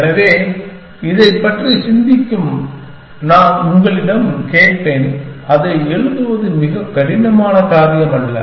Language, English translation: Tamil, So, maybe I will ask you to think about this and we will write it is not a very difficult thing to do